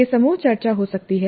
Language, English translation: Hindi, It could be group discussion